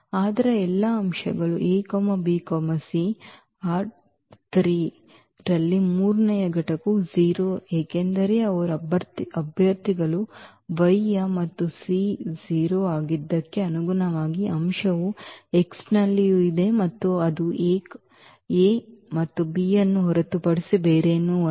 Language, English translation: Kannada, That means, all the points is a b c in R 3 whose the third component is 0 because they are the candidates of the Y and corresponding to when the c is 0 the corresponding element is also there in X and that is nothing but this a and b